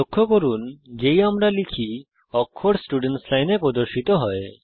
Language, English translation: Bengali, As we type, the characters are displayed in the Students Line